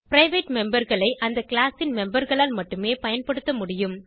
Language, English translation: Tamil, Private members can be used only by the members of the class